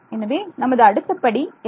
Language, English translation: Tamil, So, what is the next step